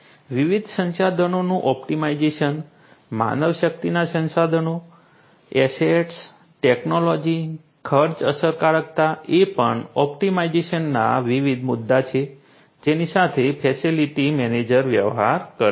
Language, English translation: Gujarati, Optimization of different resources manpower resources, assets, technology, cost effectiveness these are also different optimization issues that a facility manager deals with